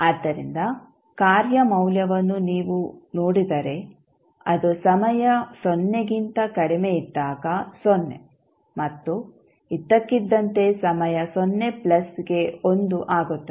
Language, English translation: Kannada, So, if you see the the function value is 0 upto time just less than 0 and suddenly it becomes 1 at time 0 plus